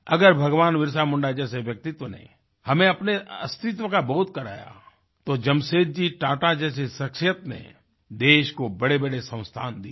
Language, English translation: Hindi, If the valourousBhagwanBirsaMunda made us aware of our existence & identity, farsightedJamsetji Tata created great institutions for the country